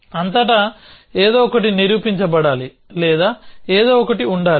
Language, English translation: Telugu, Something must be proved throughout or something must be